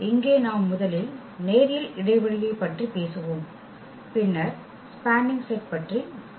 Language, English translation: Tamil, And here we will be talking about the linear span first and then will be talking about spanning set